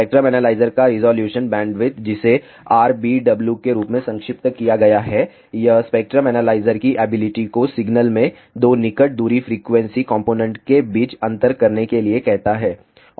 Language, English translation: Hindi, Resolution bandwidth of a spectrum analyzer which is abbreviated as RBW, it tells the ability of the spectrum analyzer to differentiate between 2 closely spaced frequency components in the signal